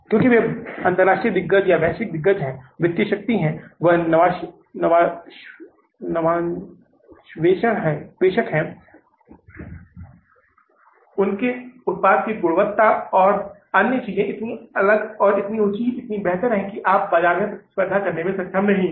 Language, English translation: Hindi, Because they are the international giants, their global giants, their financial might, their innovative might, their quality of the product and the other things are so different and so high, so better, that you are not able to compete in the market